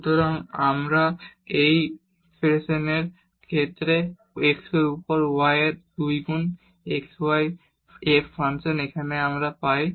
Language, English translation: Bengali, So, we get this result 2 times xy f function of y over x of this expression here